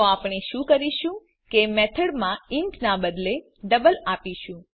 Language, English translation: Gujarati, So what we do is in the method instead of int we will give double